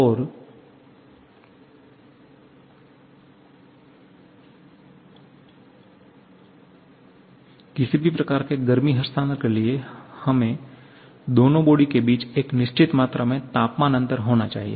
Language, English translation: Hindi, And to have any kind of heat transfer, we need to have a certain amount of temperature difference between the two bodies